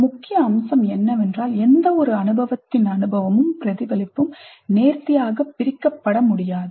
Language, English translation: Tamil, One of the major points is that experience and reflection on that experience cannot be neatly compartmentalized